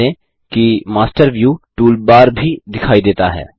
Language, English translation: Hindi, Notice, that the Master View toolbar is also visible